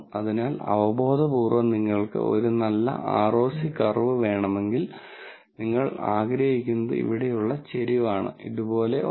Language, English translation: Malayalam, So intuitively, if you want a good ROC curve, then what you want is the slope here to be, something like this